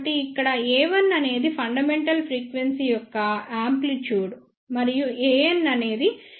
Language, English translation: Telugu, So, here A 1 is the amplitude of the fundamental frequency and A n is the amplitude of the nth harmonic